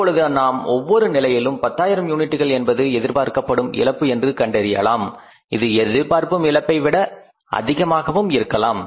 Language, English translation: Tamil, Now we will make a estimate that loss of 10,000 units at each of the three levels is the expected loss or it is more than the expected loss